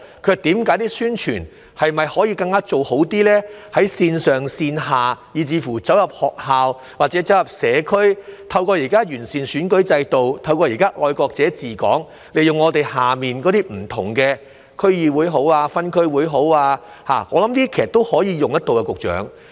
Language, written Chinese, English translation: Cantonese, 他們問宣傳是否可以做得更好，在線上線下，以至走入學校或社區，透過現時完善選舉制度、"愛國者治港"，利用地區的區議會、分區委員會，我相信都可以有作為，局長。, They asked if publicity work can be better undertaken both online and offline or even inside schools or communities . Secretary with the improved electoral system and patriots administering Hong Kong I believe the District Councils and Area Committees can be put to good use